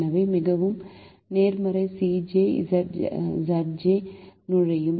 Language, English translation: Tamil, so the most positive c j minus z j will enter